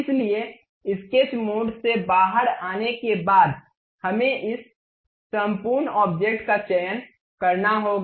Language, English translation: Hindi, So, after coming out from sketch mode, we have to select this entire object